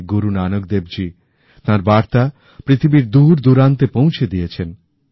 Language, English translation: Bengali, Sri Guru Nanak Dev ji radiated his message to all corners of the world